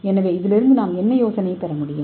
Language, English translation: Tamil, so what idea we can get from this